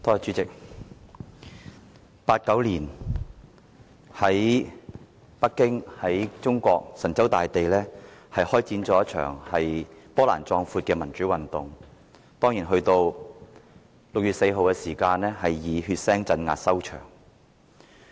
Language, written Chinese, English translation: Cantonese, 在1989年，中國神州大地開展了一場波瀾壯闊的民主運動，到了6月4日，以血腥鎮壓收場。, A magnificent pro - democracy movement took place across China in 1989 only to end on 4 June by a bloody crackdown